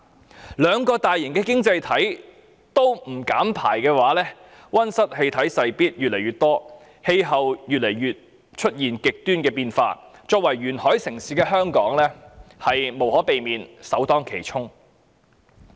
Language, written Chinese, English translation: Cantonese, 若兩個大型的經濟體都不減排，溫室氣體勢必越來越多，出現極端氣候的機會便越更頻繁。, If the two huge economies do not reduce emissions greenhouse gases will definitely increase and the occurrence of extreme climate will thus become more frequent